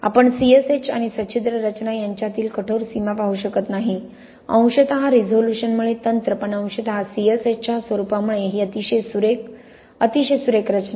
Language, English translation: Marathi, ”, you know you cannot see a hard boundary between C S H and the porous structure, partly due to the resolution of the technique but partly due to the nature of the C S H this very fine, a very fine structure